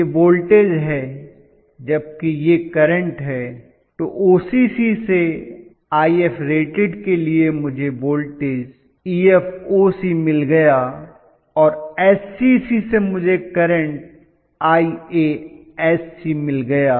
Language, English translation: Hindi, So, this is voltage whereas this is current, so get current at IF rated from SCC voltage at IF rated from OCC